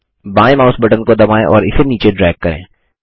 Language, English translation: Hindi, Press the left mouse button and drag it down